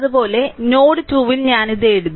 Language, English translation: Malayalam, Similarly, at node 2 I this things I wrote